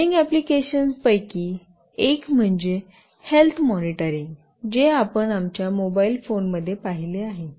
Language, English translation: Marathi, One of the burning applications is in health monitoring that we have seen in our mobile phones